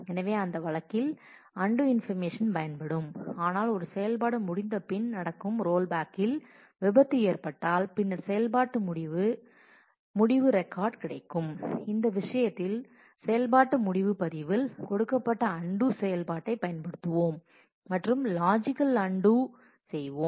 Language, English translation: Tamil, So, in that case the physical undo information is will be used to undo, but if we have a crash on rollback that happens after an operation completes, then the operation end log will be available and in this case we will use the undo operation that is given in the operation end log record and do a logical undo